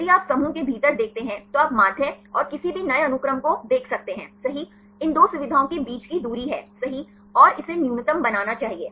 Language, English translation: Hindi, If you see the within the clusters right you can see the mean and any new sequence right; the distance between these two features right this should make it as minimum